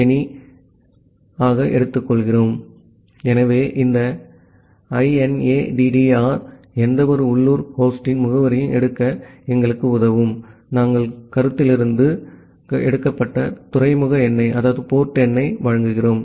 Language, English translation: Tamil, So, this INADDR ANY will help us to take the address of the local host then, we are providing the port number which are have taken from the concept